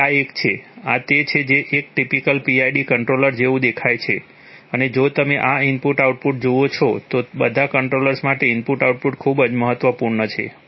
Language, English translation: Gujarati, So this is a, this is what a typical PID controller looks like and if you look at this input outputs for all controllers input outputs are very important